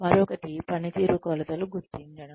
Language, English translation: Telugu, The other is identification of performance dimensions